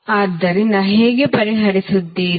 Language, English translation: Kannada, So, how you will solve